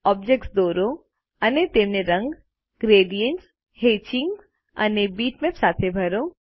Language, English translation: Gujarati, Draw objects and fill them with color, gradients, hatching and bitmaps